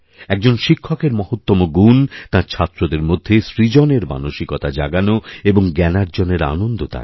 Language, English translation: Bengali, " The most important quality of a teacher, is to awaken in his students, a sense of creativity and the joy of learning